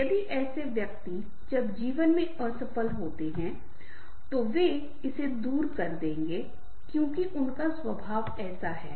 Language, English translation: Hindi, if such persons even the fail in life, they will overcome it because their temperament is like that